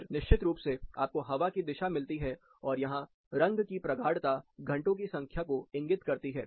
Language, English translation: Hindi, Then of course, you get the direction of the wind, and the color intensity indicates the number of hours